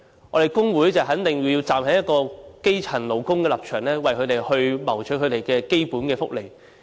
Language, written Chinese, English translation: Cantonese, 我們工會一定要站在基層勞工的立場，為他們謀取基本福利。, We the trade unions must stand on the side of grass - roots workers and fight for their benefits